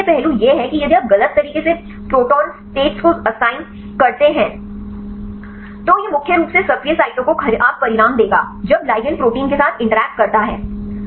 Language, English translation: Hindi, So, then the main aspect is if you incorrectly assign the protonation states, then it will give the poor results mainly the active sites when the ligand interacts with the protein